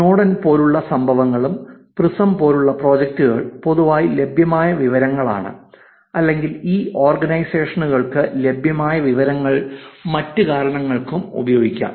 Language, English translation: Malayalam, And there were also incidences like Snowden; projects like PRISM were the information that is publicly available or the information that is available to these organizations can be used for other reasons also